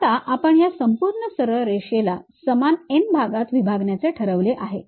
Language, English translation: Marathi, And, we have decided divide these entire straight line into n number of equal parts